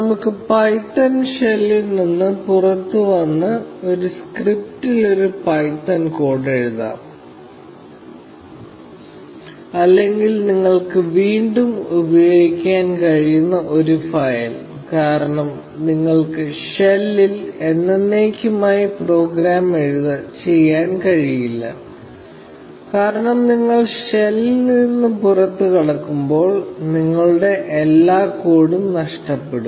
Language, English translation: Malayalam, Let us get out of the python shell, and write a python code in a script, or a file, which you can reuse; because you cannot program in the shell forever; because, as soon as you exit the shell you just lose all your code